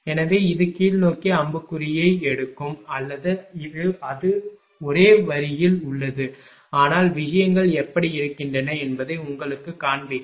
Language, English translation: Tamil, So, it take arrow downwards or it is on the same line, but just to just to show you that how things are